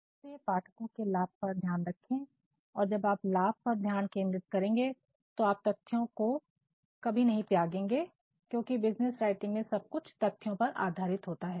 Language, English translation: Hindi, So, focus on the benefits, and while focusing on the benefits you are not going to sacrifice with the facts because all sorts of business writing they are actually based on facts